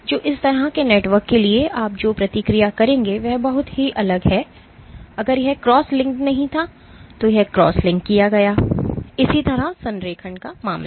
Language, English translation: Hindi, So, the response that you would observe for such a network is drastically different if it was not cross linked purses it was cross linked, similarly, the case of alignment